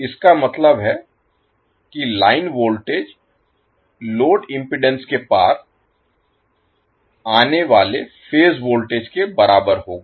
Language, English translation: Hindi, That means line voltage will be equal to phase voltage coming across the load impedance